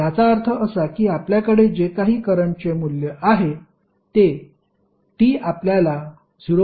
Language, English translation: Marathi, Now, we have to calculate current at time t is equal to 0